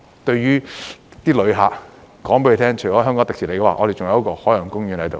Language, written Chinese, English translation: Cantonese, 對旅客，我們會告訴他們，除了香港迪士尼外，我們還有一個海洋公園在此。, As Ocean Park is one of the very important brand names of Hong Kong we would like to tell tourists that not only do we have Hong Kong Disneyland but we also have Ocean Park